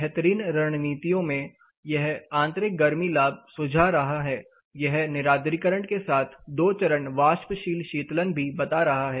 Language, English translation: Hindi, Best of strategies again it is suggesting internal heat gains; it is also suggesting dehumidification along with two stage evaporative cooling